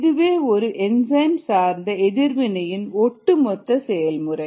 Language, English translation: Tamil, this is the overall mechanism of simple enzyme mediated reaction